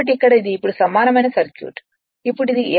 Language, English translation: Telugu, So, here it is now equivalent circuit now it is F2 is equal to sf